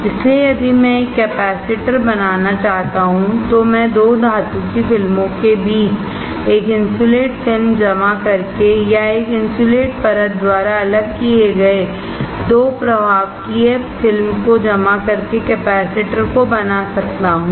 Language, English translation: Hindi, So, if I want to fabricate a capacitor, I can fabricate a capacitor by depositing an insulating film between 2 metal films or depositing 2 conductive film separated by an insulating layer